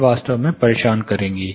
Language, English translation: Hindi, It will actually disturb